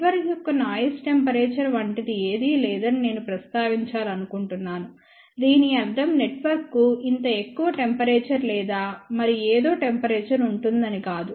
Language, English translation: Telugu, I just want to mention that there is nothing like a noise temperature of a network, it does not mean that network will have a this much temperature or some other temperature